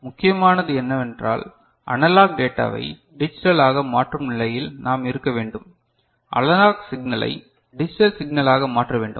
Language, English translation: Tamil, So, what is important is that, we should be in a position to convert analog data to digital ok, analog signal to digital signal